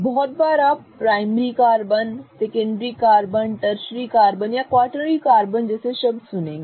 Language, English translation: Hindi, Very often you will also hear the term called as primary carbon, a secondary carbon, a tertiary and a quaternary carbon